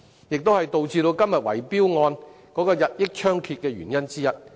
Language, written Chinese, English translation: Cantonese, 這也是導致今天圍標問題日益猖獗的原因之一。, It is one of the causes for the increasingly rampant bid - rigging problem today